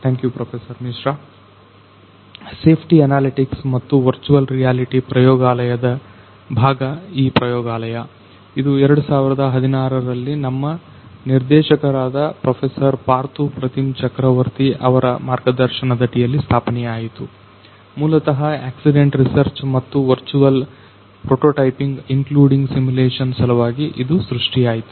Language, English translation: Kannada, Thank you Professor Misra, this laboratory is a part of safety analytics and virtual reality laboratory it was established in the year 2016 under the mentorship of Professor Partho Prathim Chakraborty, our Director, it was conceived a primarily for accident research and virtual prototyping including simulation